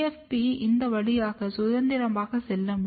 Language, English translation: Tamil, So, GFP is getting, it can move freely across this one